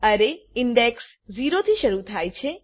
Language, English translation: Gujarati, Array index starts from 0